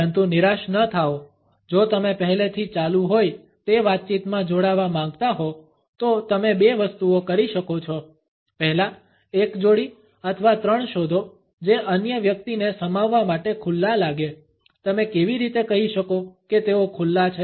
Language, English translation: Gujarati, But do not despair; if you want to join a conversation already in progress there are two things you can do; first find a twosome or threesome that looks open to including another person, how can you tell they are open